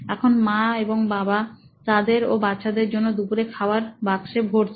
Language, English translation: Bengali, So here, mom and dad actually pack lunch for kids and themselves